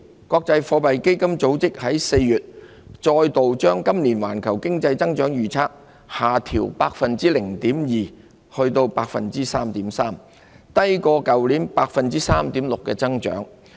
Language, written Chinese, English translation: Cantonese, 國際貨幣基金組織4月再度把今年環球經濟增長的預測下調 0.2 個百分點至 3.3%， 低於去年 3.6% 的增長。, In April the International Monetary Fund IMF again lowered its growth forecast for the global economy this year by 0.2 percentage points to 3.3 % which was weaker than the growth rate of 3.6 % last year